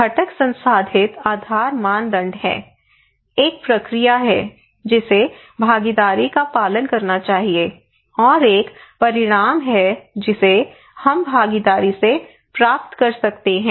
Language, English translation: Hindi, One component is the processed base criteria that there is a process that a participation should follow and there is an outcome that we can get from participations